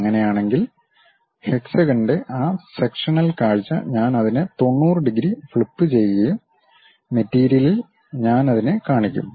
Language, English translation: Malayalam, Then in that case, that sectional view of hexagon I will flip it by 90 degrees, on the material I will show it